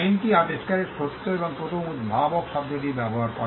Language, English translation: Bengali, The act uses the word true and first inventor of the invention